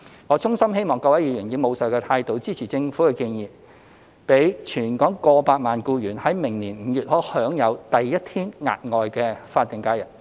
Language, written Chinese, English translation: Cantonese, 我衷心希望各位議員以務實的態度，支持政府的建議，讓全港過百萬名僱員在明年5月可享有第一天額外的法定假日。, I sincerely hope that Members will support the Governments proposal in a pragmatic manner so as to enable over 1 million employees in Hong Kong to enjoy the first day of additional SH in May next year